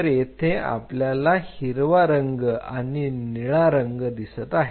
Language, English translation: Marathi, So, we see green colored blue colored